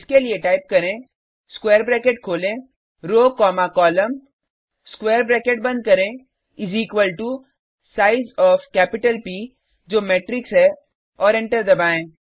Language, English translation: Hindi, for this type open square bracket row comma column close the sqaure bracket is equal to size of capital p which is matrix and press enter